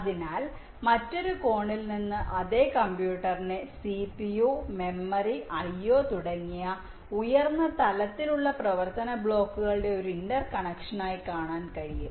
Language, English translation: Malayalam, so from another angle, the same computer can be viewed as an inter connection of very high level functional blocks like c